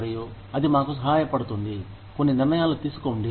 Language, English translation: Telugu, And, that helps us, make some decisions